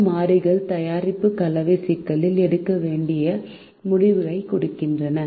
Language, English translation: Tamil, these variables represent the decisions that have to be made in the product mix problem